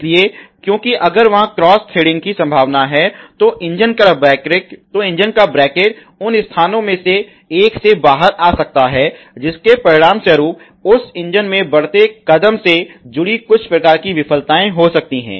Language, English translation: Hindi, So, because if there is cross threading there is a possibility the bracket of the engine, may come out from one of the sites it may result some kind of failures associated with that engine mounting step